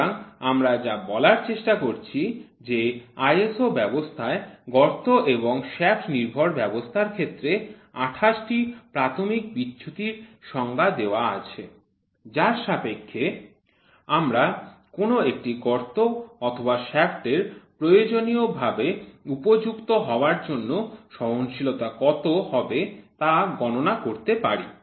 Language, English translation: Bengali, So, this is what we are trying to say the ISO system defines 28 class of basic deviation for hole and shaft base system with this what we can do is we can try to figure out what should be the tolerances which are given for the hole and for the shaft to have the necessary fit